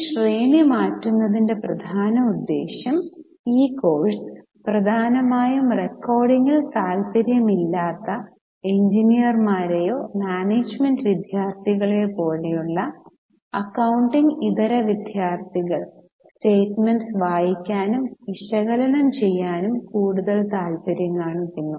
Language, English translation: Malayalam, The main purpose of changing this sequence because this course is mainly for non accounting students like engineers or management students who are less interested in the recording they are more interested in reading and analyzing the statements